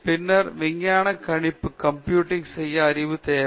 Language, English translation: Tamil, And then, you require knowledge to do scientific computing